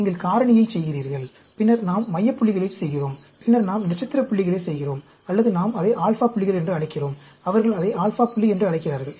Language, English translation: Tamil, You do the factorial, and then, we do the center points, and then, we do the star points, or we call it alpha points, they call it alpha point